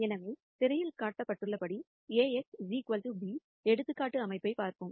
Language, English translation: Tamil, So, let us look at an A x equal to b example system as shown in the screen